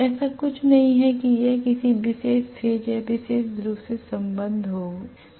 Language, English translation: Hindi, There is nothing like it is going to be affiliated to a particular phase or particular pole